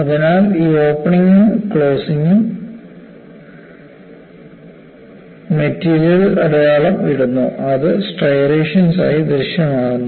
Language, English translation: Malayalam, So, this opening and closing leaves the mark on the material, which appear as striations